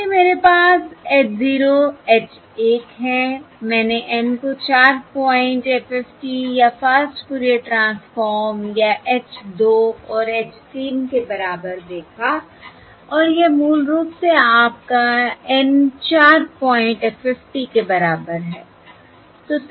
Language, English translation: Hindi, I looked at the N equal to 4 point FFT or the Fast Fourier transform, or H 2 and H 3 and this is basically your N equal to 4 point FFT